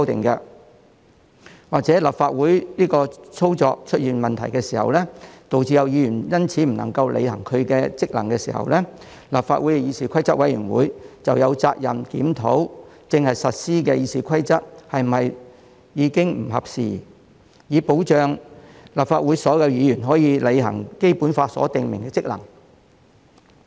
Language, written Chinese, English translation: Cantonese, 又或是當立法會的運作出現問題的時候，導致有議員因此不能履行職能的時候，立法會議事規則委員會便有責任檢討正在實施的《議事規則》是否不合時宜，以保障立法會所有議員可以履行《基本法》所訂明的職能。, For that reason as long as there are valid justifications the Rules of Procedure can be amended; or in case a problem concerning the operation of the Legislative Council has emerged thereby preventing a Member from exercising his functions the Committee on Rules of Procedure of the Legislative Council is duty - bound to review if the Rules of Procedure in force fit the current situation in order to guarantee all the Members of the Legislative Council may fulfil their functions as stipulated by the Basic Law